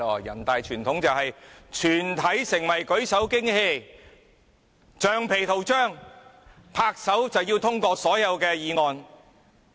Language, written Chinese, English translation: Cantonese, 人大傳統很厲害，就是全體成為舉手機器、橡皮圖章，按鈕通過所有議案。, The NPC tradition is really impressive as all Members are hand - raising machines and rubber stamps . What they do is to press the buttons so that all motions will be passed